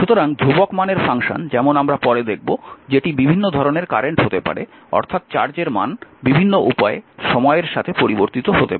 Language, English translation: Bengali, So, constant valued function as we will see later that can be several types of current that is your charge can be vary with time in several ways